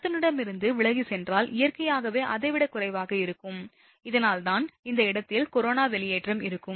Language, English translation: Tamil, If move away from the conductor, then naturally it will be less than that and thus there will be corona discharge at that point